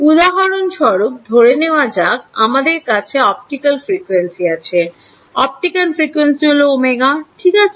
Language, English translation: Bengali, For example supposing you are in optical frequencies; optical frequencies what is omega ok